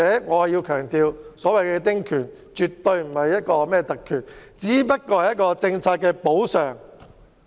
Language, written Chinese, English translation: Cantonese, 我還想強調，所謂的丁權絕對不是特權，而是一種政策補償。, I also want to emphasize that small house concessionary right is definitely not a privilege but a kind of compensation under certain policies